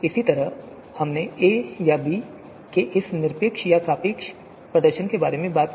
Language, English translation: Hindi, Similarly we also talked about this absolute or you know relative performances of a or b